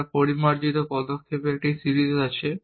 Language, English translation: Bengali, We have a series of refinements steps